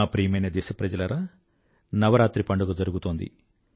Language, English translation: Telugu, My dear countrymen, Navratras are going on